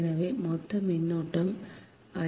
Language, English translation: Tamil, so total current is i